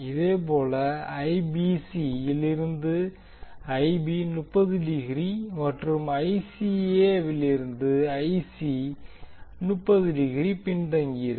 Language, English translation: Tamil, Similarly Ib will be lagging by 30 degree from Ibc and Ic will be lagging 30 degree from Ica